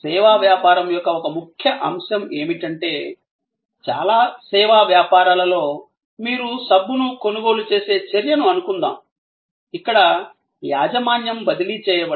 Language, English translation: Telugu, One key element of service business is that, in most service businesses as suppose to your act of buying a soap, there is no transfer of ownership